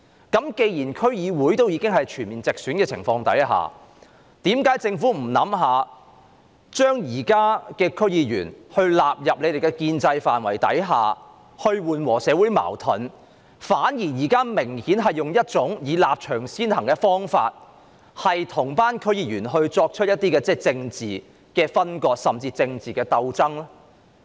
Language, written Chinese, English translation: Cantonese, 既然區議會已經全面直選，在這樣的情況下，為何政府不考慮把現任區議員納入建制範圍，以緩和社會矛盾，反而明顯地採用"立場先行"的做法，與區議員作出政治分割甚至鬥爭呢？, Given that DCs have already implemented full direct elections why does the Government not give consideration to incorporating incumbent DC members into the establishment to alleviate social conflicts but chooses to obviously put its stance above everything else and politically sever ties and even struggle with DC members?